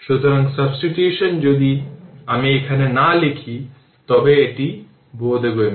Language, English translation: Bengali, So, upon substitution if I am not writing here it is understandable